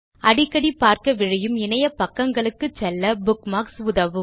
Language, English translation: Tamil, Bookmarks help you navigate to pages that you visit or refer to often